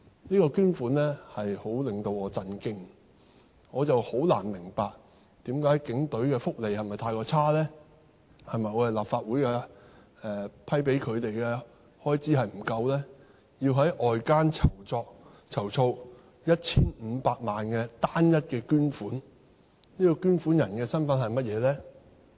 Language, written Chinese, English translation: Cantonese, 這捐款數字令我十分震驚，我很難明白，是否警隊的福利太差，是否立法會批准給他們的開支不足夠，令他們要在外間籌措 1,500 萬元的單一捐款，而該捐款人的身份是甚麼呢？, It is really hard for me to understand why HKPF has to raise the single donation of 15 million externally . Is it because of the poor fringe benefits or because of the inadequate expenditure approved by the Legislative Council? . Besides what is the donor of that single donation?